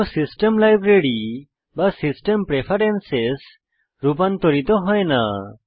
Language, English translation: Bengali, No system library or system preferences are altered